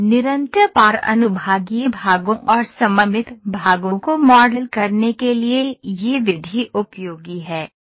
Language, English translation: Hindi, The method is useful to model constant cross section parts and symmetrical paths